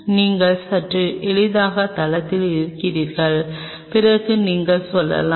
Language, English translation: Tamil, Then you have on a slightly easier site then you can go for